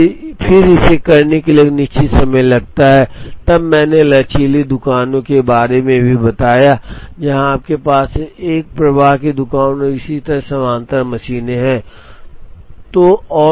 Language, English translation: Hindi, And then it takes a certain time to do then I also mentioned about flexible shops, where you have parallel machines in a flow shop and so on